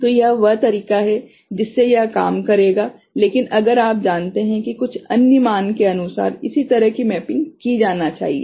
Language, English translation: Hindi, So, this is the way it will work, but if for some other value accordingly you know, corresponding mapping needs to be done